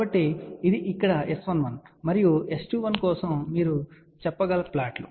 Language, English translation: Telugu, So, this is here is S 11 and this is the plot you can say for S 21